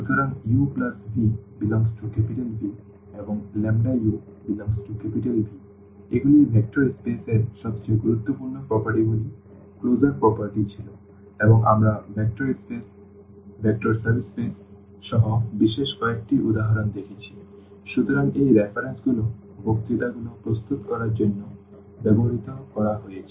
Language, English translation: Bengali, So, u plus v must belongs to V and lambda u must belong to V; these were the closure properties the most important properties of the vector spaces and we have seen several examples including the space vector spaces vector subspaces; so, these are the references used for preparing the lectures And thank you for your attention